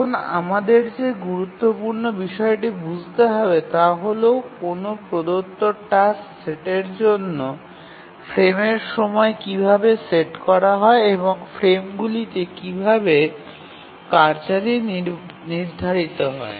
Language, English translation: Bengali, Now the important thing that we must understand is that how is the frame time set for a given task set and how are tasks assigned to frames